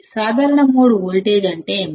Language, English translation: Telugu, What is common mode voltage